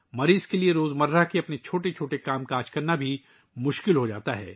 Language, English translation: Urdu, It becomes difficult for the patient to do even his small tasks of daily life